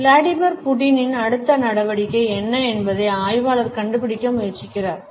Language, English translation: Tamil, As far the analyst trying to figure out what Vladimir Putin’s next move is